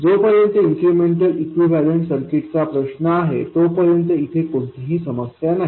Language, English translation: Marathi, As far as the incremental equivalent circuit is concerned, there is no problem at all